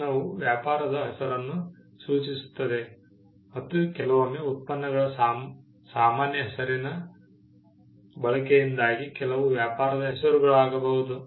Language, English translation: Kannada, Gem refers to a trade name and sometimes products are the generic name of the products may be attributed to certain trade names because of the common use